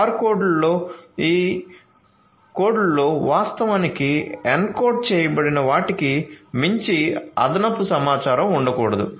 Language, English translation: Telugu, So, barcodes cannot contain any added information beyond what is actually encoded in these codes